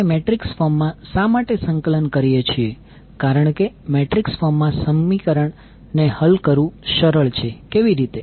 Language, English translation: Gujarati, Why we are compiling in metrics form because solving equation in matrix form is easier